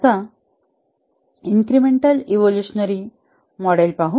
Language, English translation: Marathi, Let's look at the evolutionary model